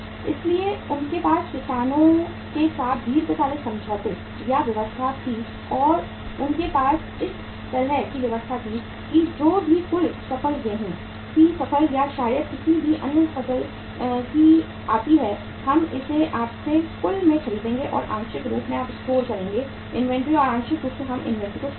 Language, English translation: Hindi, So they had the long term agreement or arrangement with the farmers and they have the arrangements like that whatever the total crop maybe the wheat crop or maybe the any other crop it comes up we will buy it in total from you and partly you will store the inventory and partly we will store the inventory